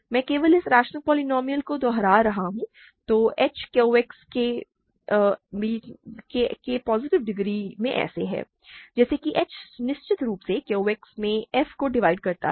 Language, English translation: Hindi, I am just repeating this rational polynomial so, h is in Q X of positive degree such that h divides f of course, in QX right